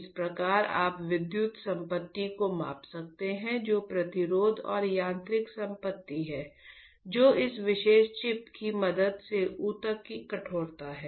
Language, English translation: Hindi, Thus, you can measure the electrical property which is the resistance and mechanical property which is the stiffness of the tissue with the help of this particular chip